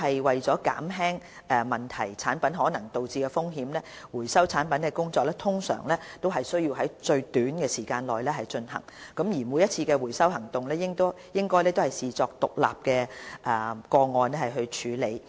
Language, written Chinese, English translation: Cantonese, 為了減輕問題產品可能導致的風險，收回產品的工作通常須在最短時間內進行，每次回收行動亦應視作獨立個案處理。, In order to reduce the risks possibly posed by problematic products the recall should usually be completed within the shortest time and each recall operation should be treated as an isolated case